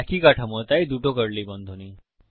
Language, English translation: Bengali, The same structure so two curly brackets